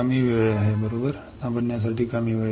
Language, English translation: Marathi, less time right, less time to understand